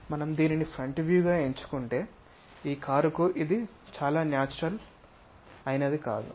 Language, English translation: Telugu, So, if we are picking this one as the front view this is not very natural for this car